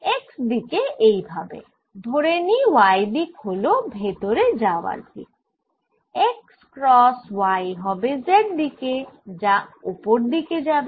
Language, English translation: Bengali, like this: y, say, is going in x, cross y, z direction is going up